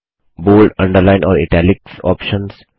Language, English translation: Hindi, Bold, Underline and Italics options